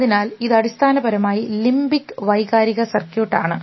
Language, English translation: Malayalam, So, this is the essentially the limbic emotional circuit